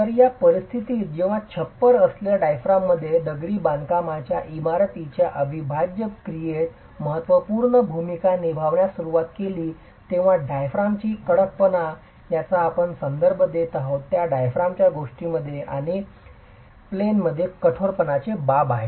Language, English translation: Marathi, So, in this scenario when the roof diaphragm starts playing a significant role in the integral action of the masonry building, the stiffness of the diaphragm, what we are referring to is the in plain stiffness of the diaphragm matters and matters significantly